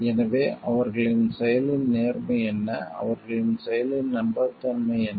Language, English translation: Tamil, So, what is the integrity of their action what is the trustworthiness of their action